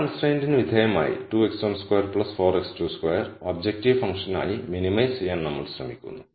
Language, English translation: Malayalam, So, we are trying to minimize 2 x 1 square 4 plus 4 x 2 squared as objective function subject to this constraint